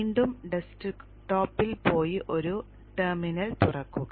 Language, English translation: Malayalam, Again go to the desktop and open a terminal